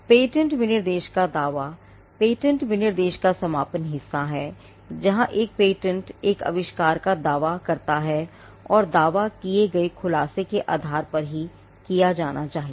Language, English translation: Hindi, The claim of a patent specification is the concluding part of the patent specification, where a patent, an invention is claimed and claim should itself be based on the matter disclosed